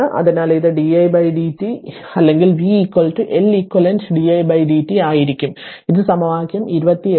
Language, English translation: Malayalam, So, it will be into di by dt right or v is equal to L eq di by dt this is equation 28